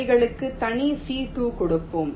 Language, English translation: Tamil, lets give them separate c two